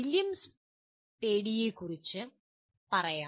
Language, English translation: Malayalam, A little bit about William Spady